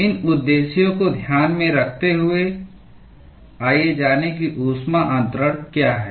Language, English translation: Hindi, With these objectives in mind, let us delve into what is heat transfer